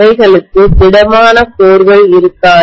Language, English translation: Tamil, They will not have solid cores at all